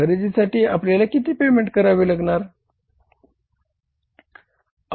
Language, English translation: Marathi, How much payment we have to make for the purchases